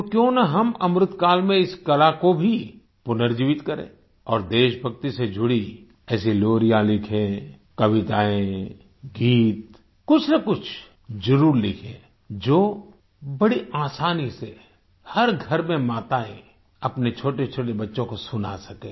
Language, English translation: Hindi, So why don't we, in the Amritkaal period, revive this art also and write lullabies pertaining to patriotism, write poems, songs, something or the other which can be easily recited by mothers in every home to their little children